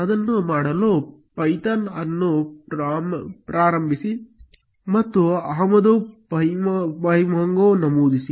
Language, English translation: Kannada, To do that, start python and enter import pymongo